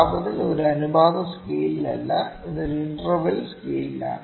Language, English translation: Malayalam, Temperature is not in a ratio scale, it is in a interval scale